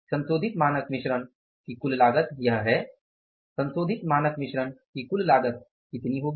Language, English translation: Hindi, So, total cost of revised standard mix, we will have to calculate the total cost of revised standard mix